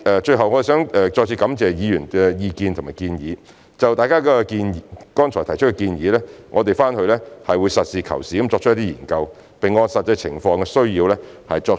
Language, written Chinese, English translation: Cantonese, 最後，我想再次感謝議員的意見和建議，就大家剛才提出的建議，我們會實事求是地研究，並按實際情況需要予以適當考慮。, Lastly I would like to thank Members again for their views and suggestions . We will study their earlier suggestions and give due consideration in the light of the actual situation